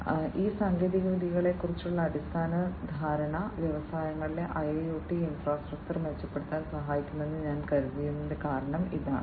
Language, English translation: Malayalam, So, that is the reason why I thought that a basic understanding about these technologies can help in improving the IIoT infrastructure in the industries